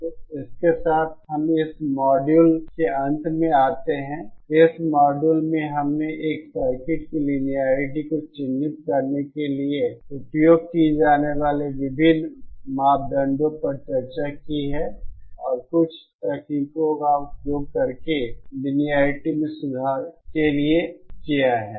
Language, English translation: Hindi, So, so with this we come to end and to this module, in this module we have discussed about the various parameters used to characterise the linearity of a circuit and some of the techniques used to improve the linearity